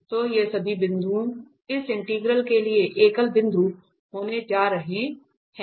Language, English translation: Hindi, So, all these points are going to be the singular points for this integrant